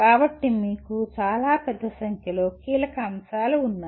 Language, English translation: Telugu, So you have a fairly large number of key elements